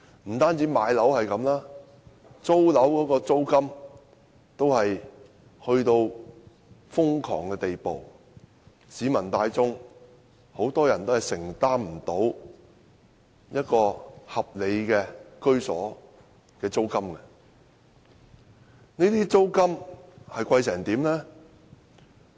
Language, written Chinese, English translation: Cantonese, 不僅樓價如此，租金也達致瘋狂的地步，市民大眾多數無法承擔合理居所的租金。, Not only property prices rents have also risen to a crazy level that most people cannot afford to rent a decent residence